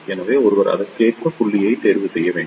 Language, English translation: Tamil, So, one should choose the point accordingly